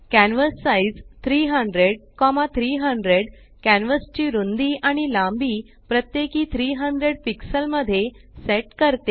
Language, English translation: Marathi, canvassize 300,300 sets the width and height of the canvas to 300 pixels each